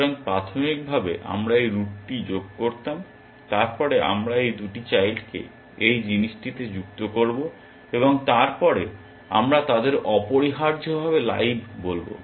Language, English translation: Bengali, So, initially we would have added this root then, we will add both these children to this thing and then, we will call them live essentially